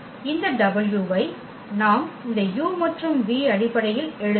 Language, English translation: Tamil, That if this w we can write down in terms of this u and v if